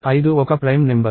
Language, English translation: Telugu, Five is a prime number